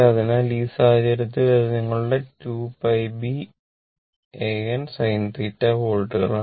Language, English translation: Malayalam, So, in this case, this is your this is your 2 pi B A N sin theta volts